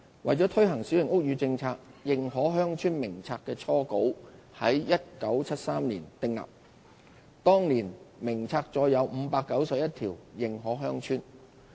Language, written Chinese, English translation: Cantonese, 為推行小型屋宇政策，《認可鄉村名冊》的初稿於1973年訂定，當年名冊載有591條認可鄉村。, To implement the Policy the first version of the List of Recognized Villages which contained 591 recognized villages was drawn up in 1973